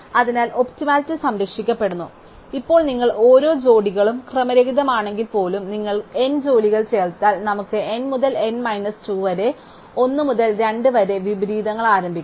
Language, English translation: Malayalam, Therefore, the optimality is preserved, now if you have n jobs even if a every pair of them is out of order, we have only n to n minus 2 1 by 2 inversions to begins with